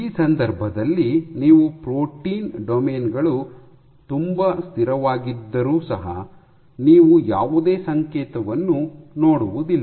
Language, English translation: Kannada, In this case, so if your protein domains are very stable then also you would not see any signal